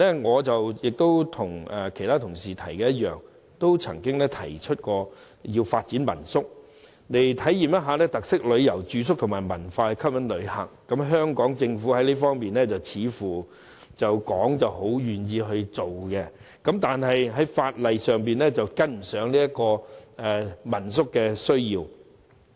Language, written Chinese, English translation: Cantonese, 我和其他同事一樣，在數年前亦曾提議發展民宿，以體驗特色旅遊、住宿和文化吸引旅客，而香港政府表面上似乎十分樂意作進一步探討，但在法例方面卻跟不上民宿的要求。, A few years ago my colleagues and I proposed to develop homestay lodgings in the hope of attracting visitors by offering experience accommodation and culture of local characteristics . On the face of it is seems that the SAR Government is very willing to explore further . However the legislation has failed to keep up with the requirements of homestay lodgings